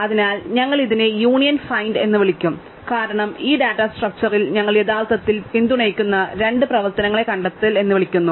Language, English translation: Malayalam, So, we will call it union find because the two operations we actually support on this data structure are called find